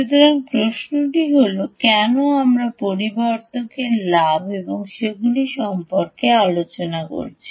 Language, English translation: Bengali, so question is this: why are we discussing amplifier gain and all that